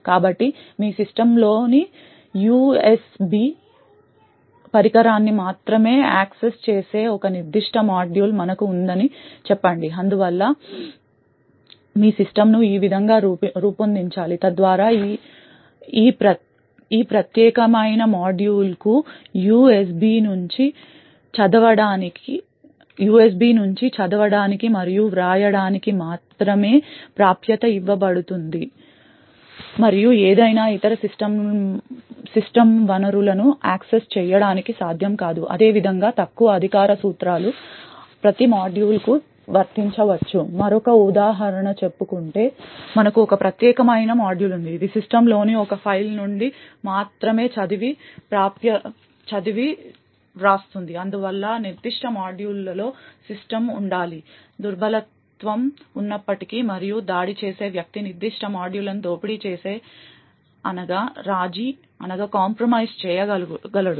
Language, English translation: Telugu, So let us say for example we have a particular module which only accesses the USP device in your system, therefore your system should be designed in such a way so that this particular module is only given read and write access to the USB and is not able to access any other system resources, in a similar way such Principles of Least Privileges can be applied to every module, another example is say for instance we have one particular module which only reads and writes from one file present in the system thus system should be defined so that even if there is a vulnerability in that particular module and the attacker is able to create an exploit and compromise that particular module